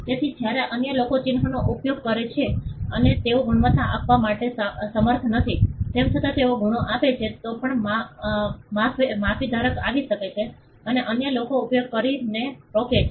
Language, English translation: Gujarati, So, when others use the mark and they are not able to give the quality, even if they give the qualities still the mark holder can come and stop others from using it